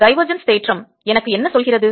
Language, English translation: Tamil, what does the divergence theorem tell me